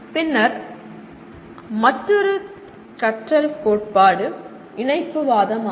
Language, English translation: Tamil, Then another learning theory is “connectivism”